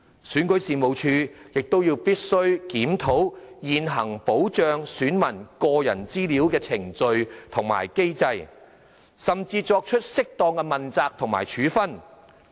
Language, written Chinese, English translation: Cantonese, 選舉事務處亦必須檢討現行保障選民個人資料的程序和機制，甚至作出適當的問責和處分。, REO must also review its existing procedures and mechanisms relating to the protection of electors personal data and even implement appropriate accountability and disciplinary measures